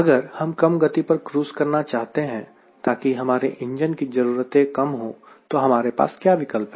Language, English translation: Hindi, so if i want to cruise at a speed which is lower, so that my engine requirements are less, what option i have got